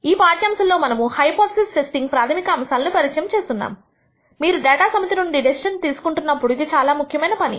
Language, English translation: Telugu, In this lecture we will introduce you to the basics of hypothesis testing which is an important activity when you want to make decision from a set of data